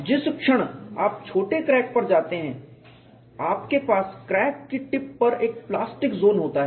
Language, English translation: Hindi, The moment you go to short crack you have at the tip of the crack there is a plastic zone